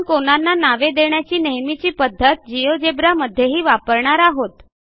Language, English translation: Marathi, We will follow the standard angle naming convention when we define angles in geogebra as well